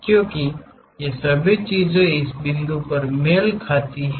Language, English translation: Hindi, Because all these things are coinciding at this point